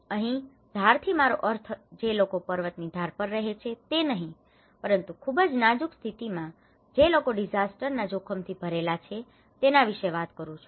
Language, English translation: Gujarati, Edge here I am not responding that people living on the mountainous edge but I am talking about the more vulnerable conditions who are prone to these disaster risk